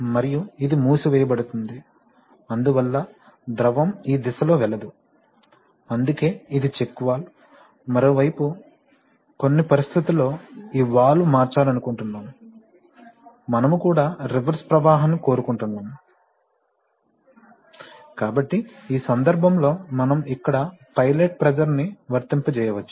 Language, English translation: Telugu, And this will close, this will close, so fluid cannot pass in this direction that is why it is a check valve, on the other hand if you, in certain conditions we want that, under certain, we want to convert this valve from, we also want reverse flow, so in that case we can apply pilot pressure here